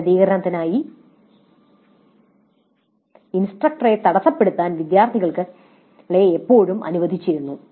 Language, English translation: Malayalam, Students were always allowed to interrupt the instructor to seek clarification